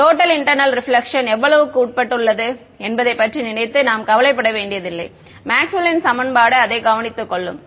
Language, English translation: Tamil, We do not have to think worry about how much is undergoing total internal reflection the Maxwell’s equation will take care of it